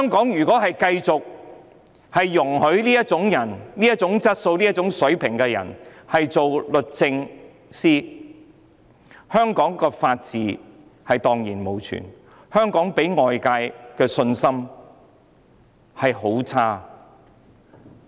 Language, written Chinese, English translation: Cantonese, 如果繼續容許這種質素和水平的人擔任律政司司長，香港法治便會蕩然無存，外界對香港更會失去信心。, If we continue to allow people of such quality and standard to be the Secretary for Justice the rule of law in Hong Kong would perish and other countries would lose confidence in Hong Kong